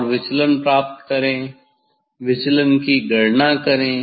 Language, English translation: Hindi, we will measure the that deviation